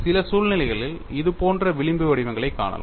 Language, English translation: Tamil, In certain situations, you see fringe patterns like this